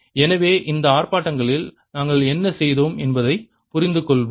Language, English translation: Tamil, so let us understand what we have done in these demonstrations